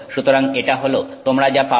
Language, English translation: Bengali, So, this is what you get